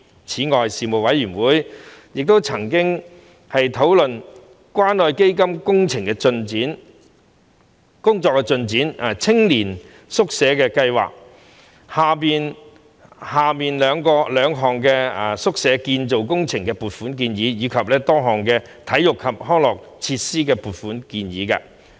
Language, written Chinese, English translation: Cantonese, 此外，事務委員會曾討論關愛基金的工作進展、青年宿舍計劃下兩項宿舍建造工程的撥款建議，以及多項體育及康樂設施的撥款建議。, In addition the Panel discussed the work progress of the Community Care Fund the funding proposals for the construction works for two youth hostel projects under the Youth Hostel Scheme and the funding proposals for various sports and recreational facilities